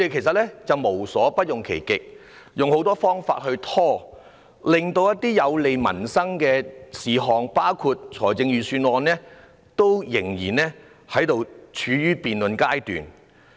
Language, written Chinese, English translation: Cantonese, 他們無所不用其極，用很多方法拖延，令一些有利民生的事項——包括預算案——現時仍然處於辯論階段。, They have employed many means to procrastinate by hook or by crook rendering some agenda items beneficial to peoples livelihood―including the Budget―still under debate